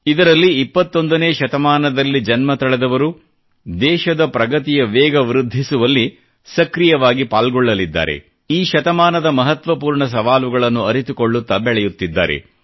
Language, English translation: Kannada, And that is, it will witness the active contribution of those who were born in the 21st century, in the country's progress; these are people who are growing up, understanding the significant issues pertaining to this century